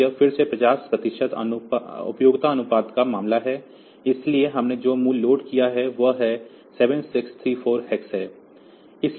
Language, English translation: Hindi, So, this is again 50 percent duty cycle case, but the value that we have loaded is 7 6 3 4 hex